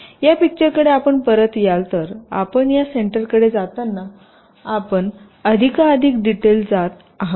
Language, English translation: Marathi, so in this diagram, if you come back to it, so as you move towards this center, your going into more and more detail